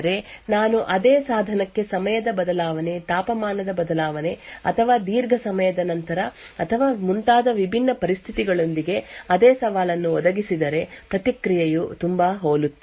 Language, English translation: Kannada, So, what this means is that if I provide the same challenge to the same device with different conditions like change of time, change of temperature or after a long time or so on, the response is very much similar